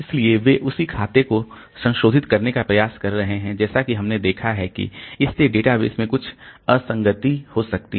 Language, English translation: Hindi, So, they are trying to modify the same account and as we have seen that this can lead to some inconsistency in the database